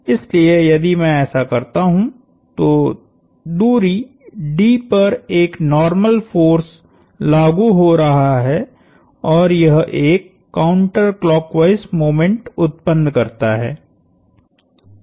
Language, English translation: Hindi, So, if I do this, there is a normal force acting at a distance d and that produces a counter clockwise moment